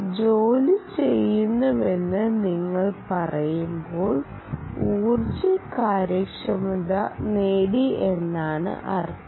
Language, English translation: Malayalam, when you say work done, you will again end up with energy efficiency, ok